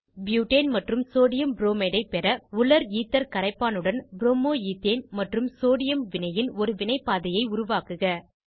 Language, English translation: Tamil, Create a reaction pathway for the reaction of Bromo Ethane and Sodium with solvent Dryether to get Butane amp Sodiumbromide